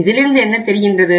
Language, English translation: Tamil, So in that case what happens